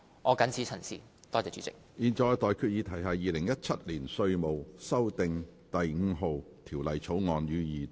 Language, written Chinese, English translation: Cantonese, 我現在向各位提出的待決議題是：《2017年稅務條例草案》，予以二讀。, I now put the question to you and that is That the Inland Revenue Amendment No . 5 Bill 2017 be read the Second time